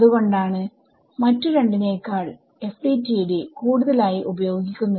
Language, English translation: Malayalam, So, that is why this FDTD is a more widely used than the other two